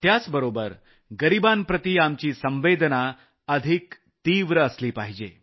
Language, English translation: Marathi, In addition, our sympathy for the poor should also be far greater